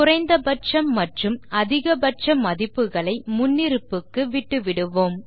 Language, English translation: Tamil, We will leave the minimum and maximum default value and change the increment to 1